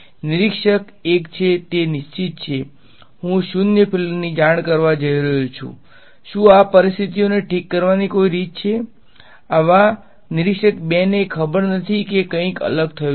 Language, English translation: Gujarati, Observer 1 has he is fixed I am going to report zero field is there any way to fix this situations such observer 2 does not know that anything different happened